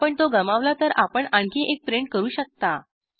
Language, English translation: Marathi, If you lose it, we can always another print out